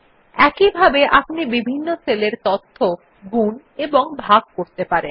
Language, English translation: Bengali, Similarly, one can divide and multiply data in different cells